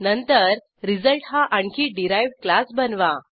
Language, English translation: Marathi, *Then create another derived class as result